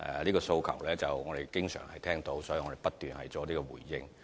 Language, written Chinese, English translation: Cantonese, 這些訴求我們經常聽到，所以我們不斷作出回應。, Since there are always people airing their aspirations to us we will continue to make responses